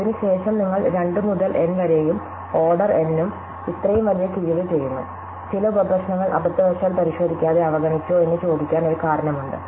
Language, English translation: Malayalam, And since, you are doing such a drastic deduction from 2 to the N and order N; obviously, there is a question to ask whether you overlooked some sub problems accidently by not examining them at all